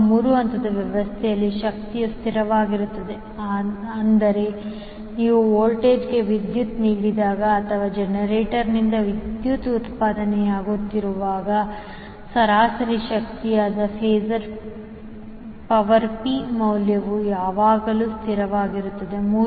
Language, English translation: Kannada, Now, the instantaneous power in a 3 phase system can be constant that means that when you power the voltage or the power is being generated from the generator the value of power p that is average power will always be constant